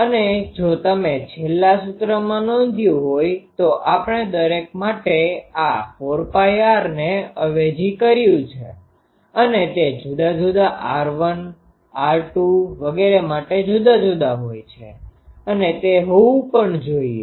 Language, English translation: Gujarati, And if you notice in the last expression, we have substituted actually for each one this 4 pi r that actually it is different for different one for r 1 r 2 etc